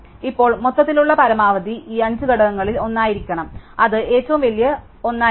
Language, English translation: Malayalam, And now the overall maximum must be among these five elements, it must be the largest one